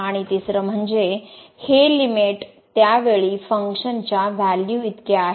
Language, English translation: Marathi, And the third one that this limit is equal to the function value at that point